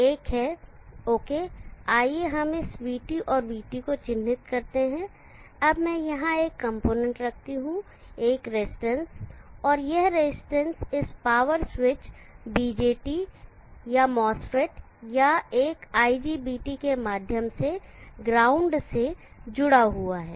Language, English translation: Hindi, Now here I will introduce two components one is okay, let us mark this VT and IT, now let me put a component here a resistance and that resistance is connected to the ground through this power switch BJT or a mass fed or an IGBT